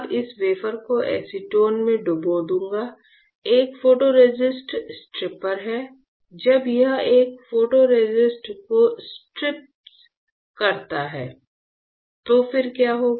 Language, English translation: Hindi, Which now what I will do is I will dip this wafer in acetone is a photoresist stripper and when it is strips a photoresist; then what will happen